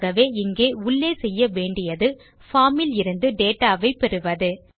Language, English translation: Tamil, So inside here the first thing we need to do is get the data from the form